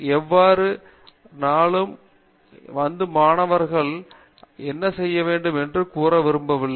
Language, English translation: Tamil, I do not like students to come in every day and ask what they should be doing